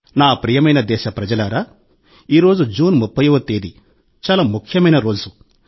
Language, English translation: Telugu, My dear countrymen, today, the 30th of June is a very important day